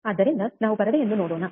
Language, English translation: Kannada, So, let us see the screen